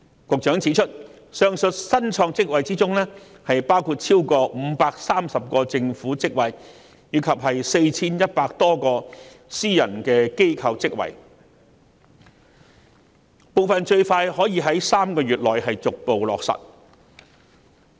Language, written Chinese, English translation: Cantonese, 局長指出，上述新創職位包括逾530個政府職位及 4,100 多個私人機構職位，部分最快可以在3個月內逐步開創。, The Secretary has pointed out that the aforesaid newly created positions include more than 530 government positions and over 4 100 positions in the private sector some will progressively materialize within three months at the earliest